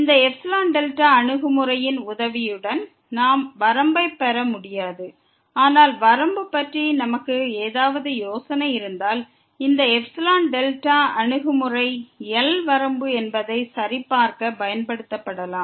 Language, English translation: Tamil, With the help of this epsilon delta approach, we cannot just get the limit; but if we have some idea about the limit, then this epsilon delta approach may be used to verify that L is the limit